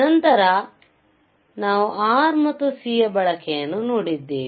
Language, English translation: Kannada, Then we have seen the use of R and C right